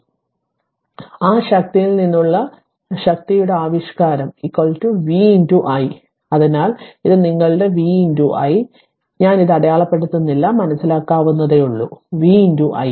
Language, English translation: Malayalam, So, expression of power from equation you know that power is equal to v into i right, so this is your v into I am not marking it is understandable v into i